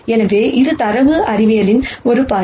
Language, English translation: Tamil, So, this is one viewpoint from data science